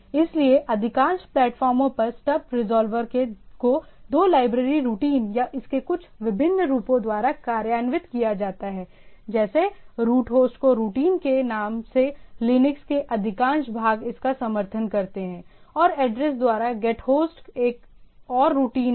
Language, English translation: Hindi, So, on most platform the stub resolver is implemented by two library routines or some variation of this, like gethost by name is the routine, most of the Linux is tends supports it and gethost by address is another routine